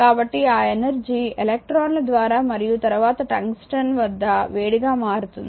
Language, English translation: Telugu, So, that energy is transformed in the electrons and then to the tungsten where it appears as the heat